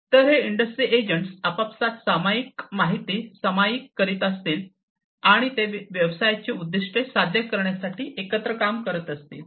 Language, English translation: Marathi, So, these industry agents would be sharing information between themselves, and they would be working together for achieving the objectives of the business